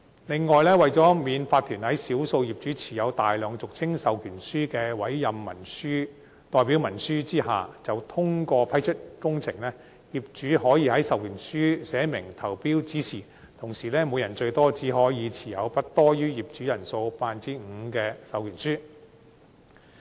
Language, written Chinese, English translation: Cantonese, 另外，為免法團在少數業主持有大量俗稱授權書的"委任代表文書"投票下通過批出工程，業主可在授權書上寫明投票指示，同時每人最多只可持有不多於業主人數 5% 的授權書。, Besides in order to prevent an OC from endorsing a works project with the voting support of a handful of property owners holding large numbers of proxy instruments property owners will be allowed to expressly state their voting instructions on such authorizations and the number of proxy forms held by each person must not exceed 5 % of all property owners